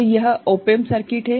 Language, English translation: Hindi, So, this is the op amp circuit